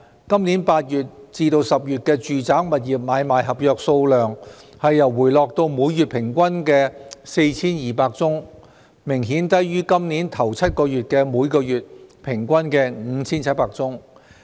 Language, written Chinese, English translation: Cantonese, 今年8月至10月的住宅物業買賣合約數目回落至每月平均約 4,200 宗，明顯低於今年首7個月的每月平均 5,700 宗。, Transactions have quieted down and property prices fallen . The monthly average number of sale and purchase agreements for residential property from August to October this year has dropped to about 4 200 obviously lower than 5 700 in the first seven months this year